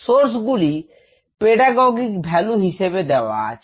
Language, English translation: Bengali, the sources were chosen for their pedagogic value